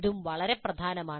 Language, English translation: Malayalam, That is also very important